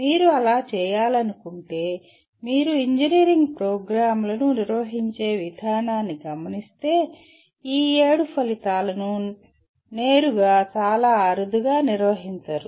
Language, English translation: Telugu, If you want to do that because if you look around the engineering programs the way they are conducted these seven outcomes are hardly addressed directly